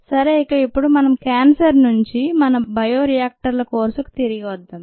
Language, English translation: Telugu, we just saw that list, and lets now come back from cancer to our bioreactors course